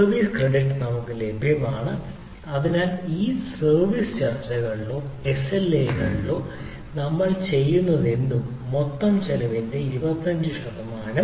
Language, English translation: Malayalam, so service credit available due to that, whatever we, whatever the during that service negotiation or sla things, are there twenty five percent of total cost